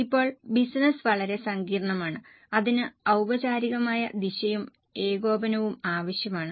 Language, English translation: Malayalam, Now, business is very complex and it requires a formal direction and coordination